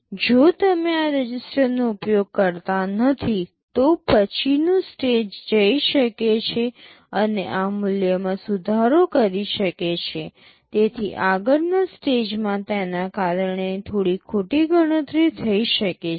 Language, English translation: Gujarati, If you do not use this registers, then the previous stage can go and modify this value, so the next stage might carry out some wrong computation because of that